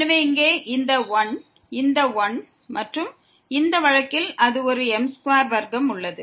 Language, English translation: Tamil, So, this is 1 here, this is 1 and in this case it is a there as square